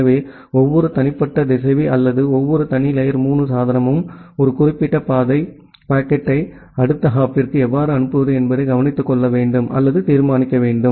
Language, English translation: Tamil, So, every individual router or every individual layer 3 device, need to take care of or need to decide that how to forward a particular path packet to the next hop, given destination addresses available